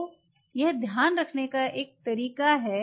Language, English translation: Hindi, So, this is kind of to keep track